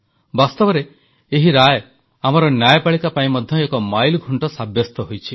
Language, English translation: Odia, In the truest sense, this verdict has also proved to be a milestone for the judiciary in our country